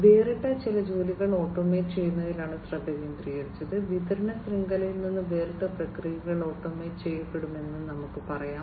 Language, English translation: Malayalam, But, there the focus was on automating separate, separate jobs, you know separate let us say the processes will be automated separate from the supply chain